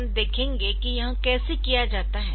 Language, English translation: Hindi, So, how to do this thing